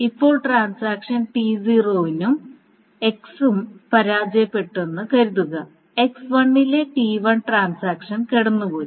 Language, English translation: Malayalam, Now suppose transaction 0 on X has failed by transaction 1 on X has passed